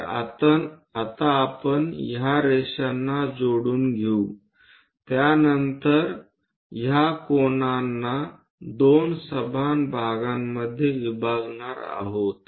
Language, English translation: Marathi, So, let us connect the lines which are going all the way up then we have to bisect this angles into 2 equal parts